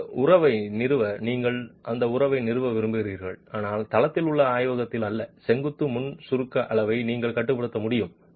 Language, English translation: Tamil, To establish that relationship but not in the laboratory in the site you need to be able to regulate the vertical pre compression level